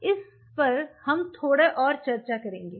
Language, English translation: Hindi, Now this is something we will be discussing little bit more